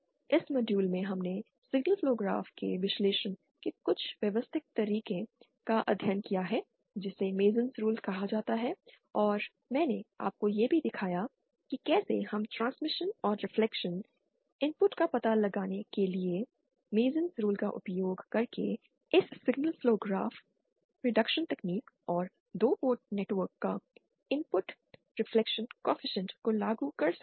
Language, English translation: Hindi, In this module we have studied somewhat systematic way of analysing the signal flow graph which is called the MasonÕs rule and I also showed you how we can apply this signal flow graph reduction technique using the MasonÕs rules to find out the transmission and the reflection, input reflection coefficient of a 2 port network